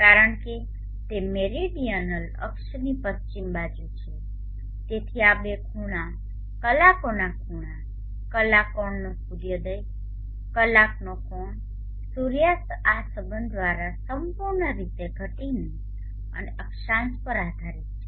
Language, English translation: Gujarati, Because it is on the west side of the original axis so these two angles our angles our angle sunrise our angle sunset are given by this relationship, entirely dependent on the declination and the latitude of the place